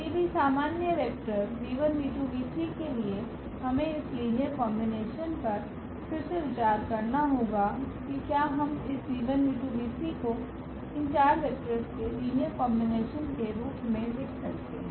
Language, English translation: Hindi, So, for any general vector v 1 v 2 v 3 what we have to again consider this linear combination that whether we can write down this v 1 v 2 v 3 as a linear combination of these four vectors